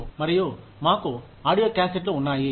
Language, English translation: Telugu, And, we had audio cassettes